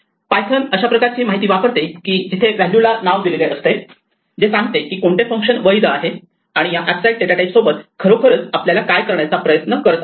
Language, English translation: Marathi, Python uses the type information that it has about the value give assign to a name to determine what functions are legal which is exactly what we are trying to do with these abstract data types